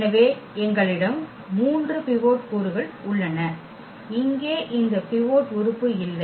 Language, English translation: Tamil, So, we have the three pivot elements and here we do not have this pivot element this is not the pivot element